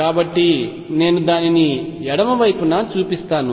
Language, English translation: Telugu, So, let me show it on the left hand side